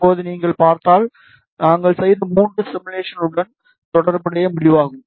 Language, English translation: Tamil, Now, if you see, so this is the result corresponding to our three simulation, which we did